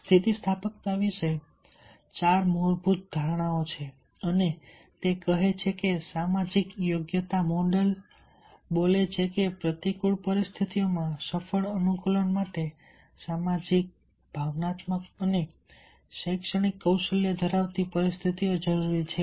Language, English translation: Gujarati, there are four fundamental foundational assumptions about resilience and it says the social competency model speaks that the conditions of possessing social, emotional and academic skills is needed for successful adaptation to adverse situations